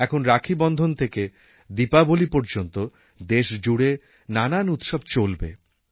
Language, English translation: Bengali, From Raksha Bandhan to Diwali there will be many festivals